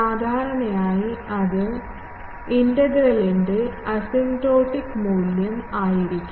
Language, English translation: Malayalam, Generally, that will be the, asymptotic value of the integral